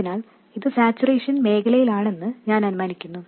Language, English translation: Malayalam, So, let me assume that this is in saturation region